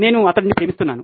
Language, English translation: Telugu, I love him